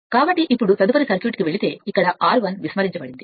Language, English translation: Telugu, So, now if you go to the next circuit here R i is neglected